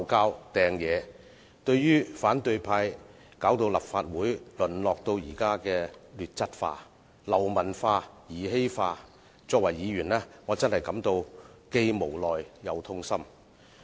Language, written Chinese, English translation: Cantonese, 我作為議員，對於反對派令立法會淪落至現時的劣質化、流氓化、兒戲化，真的感到既無奈又痛心。, As a Member when seeing that the opposition camp has turned the Legislative Council into a state of inferiority hooliganism and trivialization I am really helpless and distressed